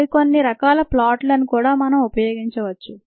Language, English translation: Telugu, other types of plots can also be used